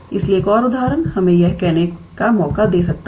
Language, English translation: Hindi, So, an another example could be let us say prove that